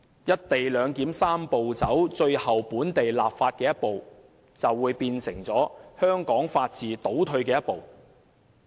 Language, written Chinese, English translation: Cantonese, "一地兩檢"的"三步走"程序的最後一步——本地立法——將會變成香港法治倒退的一步。, The enactment of local legislation the last step of the Three - step Process for implementing the co - location arrangement will signify a regression of the rule of law in Hong Kong